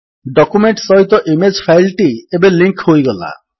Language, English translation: Odia, The image file is now linked to the document